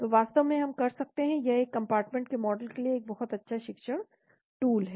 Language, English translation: Hindi, So in fact we can it is a very good learning tool for one compartment model